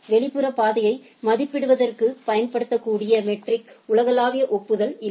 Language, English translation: Tamil, There is no universal agreed upon metric that can be used to evaluate the external path